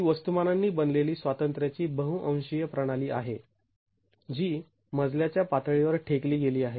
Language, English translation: Marathi, It is a multi degree of freedom system composed of masses which are lumps at the floor level